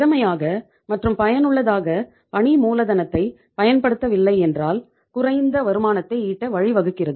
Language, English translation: Tamil, Lack of efficient and effective utilization of working capital leads to earn low rate of return